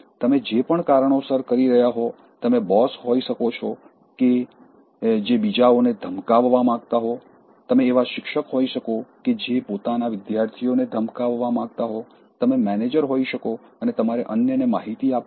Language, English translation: Gujarati, For whatever reasons that you might be doing you may be the boss you want to threaten others, you may be a teacher you want to threaten your students, you are a manager and you have to intimate others